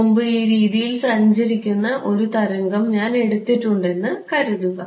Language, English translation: Malayalam, Previously, supposing I took a wave travelling in this way right